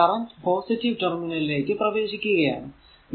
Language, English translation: Malayalam, And this is your this is this current is entering the positive terminal